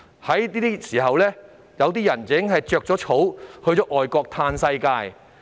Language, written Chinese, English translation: Cantonese, 現時，有些人已經逃往外國"嘆世界"。, At the moment some of them have fled overseas to have a great time